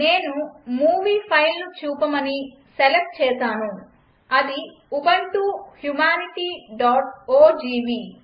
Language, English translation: Telugu, Now i select the movie file to play it i.e Ubuntu Humanity.ogv